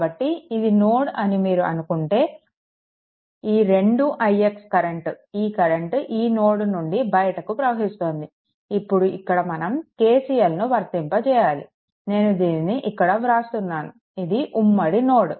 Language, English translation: Telugu, Therefore, if you think that this is the node, then this 2 i x current; this current, this current is coming out from this node; this they applying KCL here that I making it here, it is a common node right